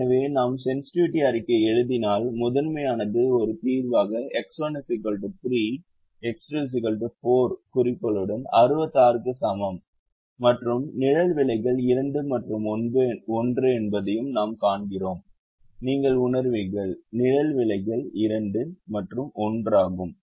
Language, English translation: Tamil, so if we write the sensitivity report, the primal as a solution, x, one equal to three, x two equal to four, with objective equal to sixty six, and we also see that the shadow prices are two and one, you'll realize shadow prices are two and one